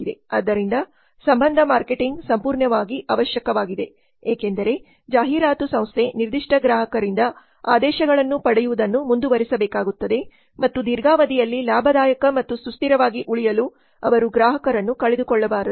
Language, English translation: Kannada, So relationship marketing is absolutely essential because the advertising agency has to continue getting the orders from their particular customers and they should not lose these customers in order to remain profitable and sustainable over the long time